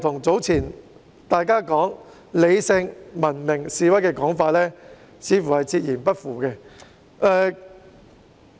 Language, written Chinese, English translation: Cantonese, 這與大家早前"理性文明示威"的說法，似乎是背道而馳。, It seems that this runs counter to the previous claim that the demonstrations are rational and civilized